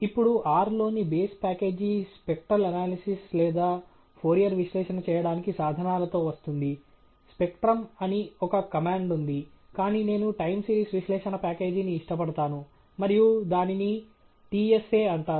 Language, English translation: Telugu, Now the base package in R does come with tools to perform spectral analysis or Fourier analysis; there’s a command called spectrum, but I prefer the Time Series Analysis package and it’s called the TSA